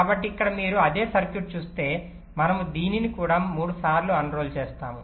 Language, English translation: Telugu, so here, if you see that same circuit, we have unrolled it three times